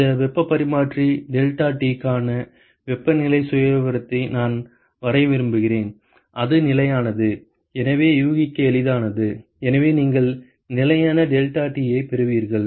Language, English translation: Tamil, I want to draw the temperature profile for this heat exchanger deltaT is constant, so that is easy to guess, so you will have a constant deltaT